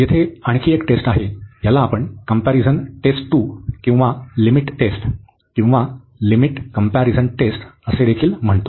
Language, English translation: Marathi, There is another test here, it is we call comparison test 2 or it is called the limit test also limit comparison test